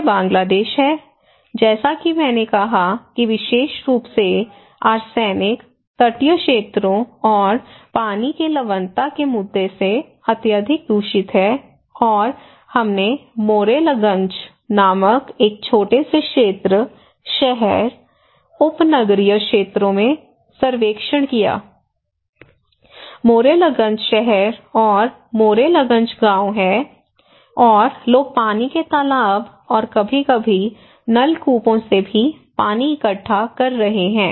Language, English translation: Hindi, This is Bangladesh, as I said is highly contaminated by arsenic especially, the coastal areas and also water salinity issue and we conducted the survey in a small area, city, suburban areas called Morrelganj; Morrelganj town and Morrelganj villages and this is the bazaar area of this small town, people are collecting water from water pond and also from tube wells sometimes